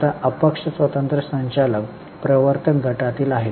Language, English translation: Marathi, Now non independent directors belong to the promoter groups